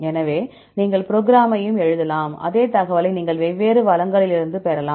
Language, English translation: Tamil, So, you can also write the program and this same information you can also obtain from different resources right